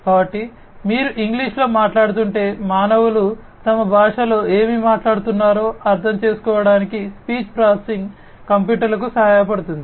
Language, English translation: Telugu, So, if you are speaking in English the speech processing would help the computers to understand what the humans are talking about in their own language right